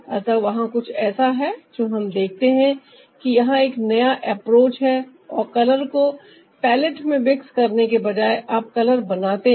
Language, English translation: Hindi, so, ah, there's something that we see, a new approach here, that instead of mixing the color in the palette itself, you prepare the color ah